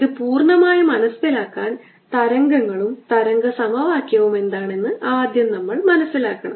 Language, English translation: Malayalam, to understand it fully, we should actually first understand what waves are, wave and wave equation